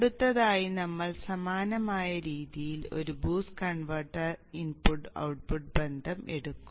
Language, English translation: Malayalam, Next we will take up the input output relationship of the boost converter in the similar way